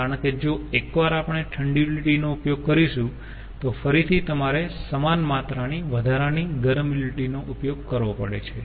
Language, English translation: Gujarati, so it becomes double penalty, because once we are using cold utility and again you are using same amount of additional hot utility, so it becomes double penalty